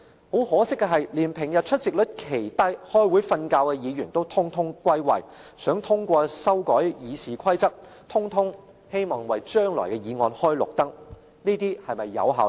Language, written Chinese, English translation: Cantonese, 很可惜的是，連平日出席率奇低、開會睡覺的議員也全部歸位，想通過修改《議事規則》的議案，全部人也希望為將來的議案開綠燈。, It is unfortunate to see that Members with low attendance and those who often appear to nod off in Council meetings are present today in a concerted effort to pass the RoP motion so as to give a prior green light to future motions